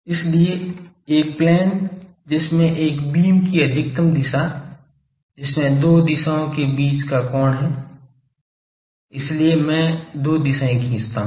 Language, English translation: Hindi, So, in a plane containing the direction of maximum of a beam the angle between two directions, so I draw two directions